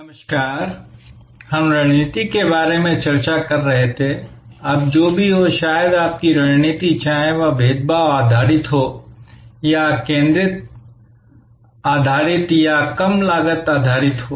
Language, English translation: Hindi, Hello, we were discussing about strategy, now whatever maybe your strategy, whether it is differentiation based or it is focus based or low cost based